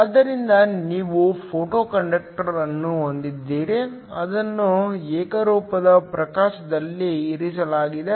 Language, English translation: Kannada, So, you have a photoconductor that is placed under uniform illumination